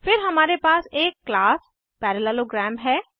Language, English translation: Hindi, This is the pointer of class parallelogram